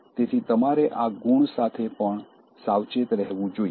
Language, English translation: Gujarati, So, you have to be careful with this trait also